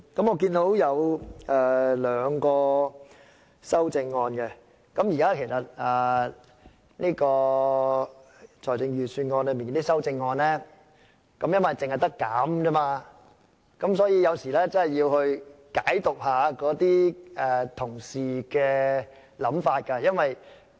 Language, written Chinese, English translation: Cantonese, 我看到有兩項修正案，由於對財政預算案提出的修正案只可減少開支，所以有時真的要解讀一下同事的想法。, I can see two amendments here and as our amendments to the Budget can only propose a reduction of expenditure sometimes it is really necessary to interpret the intention of Honourable colleagues